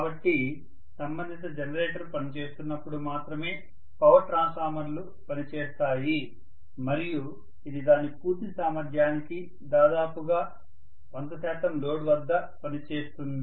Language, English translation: Telugu, So the power transformers will be functioning only when the corresponding generator is functioning and it will be almost functioning at 100 percent load to its fullest capacity